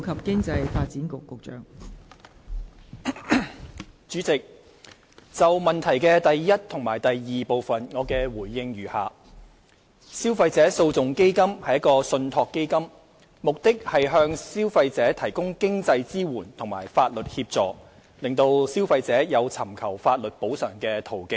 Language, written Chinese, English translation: Cantonese, 代理主席，就質詢的第一及二部分，我的答覆如下：消費者訴訟基金為信託基金，目的是向消費者提供經濟支援及法律協助，讓消費者有尋求法律補償的途徑。, Deputy President my consolidated reply to the first two parts of the question is as follows The Consumer Legal Action Fund the Fund is a trust fund set up to provide greater consumer access to legal remedies by providing financial support and legal assistance . The Consumer Council is the trustee of the Fund